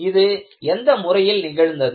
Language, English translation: Tamil, What way it has done